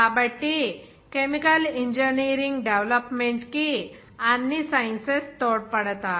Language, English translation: Telugu, So all sciences will be contributing to the development of chemical engineering